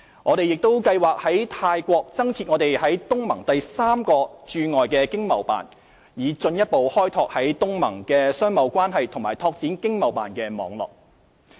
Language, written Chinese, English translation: Cantonese, 我們也計劃在泰國增設我們在東盟的第三個駐海外經濟貿易辦事處，以進一步開拓在東盟的商貿關係和拓展經貿辦的網絡。, We are also planning to set up an Economic and Trade Office ETO in Thailand our third ETO in ASEAN to further enhance our economic and trade relations with ASEAN